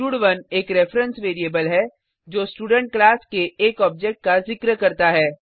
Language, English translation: Hindi, stud1 is a reference variable referring to one object of the Student class